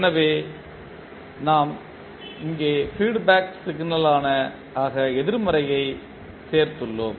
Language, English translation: Tamil, So here we have added negative as a feedback signal